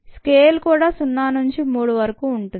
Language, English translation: Telugu, this scale is pretty much the same: zero to three